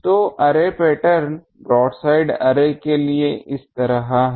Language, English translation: Hindi, So array pattern is like this for broadside array